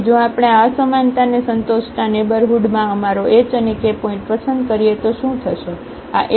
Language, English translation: Gujarati, So, if we choose our h and k point in the neighborhood which satisfies this inequality, what will happen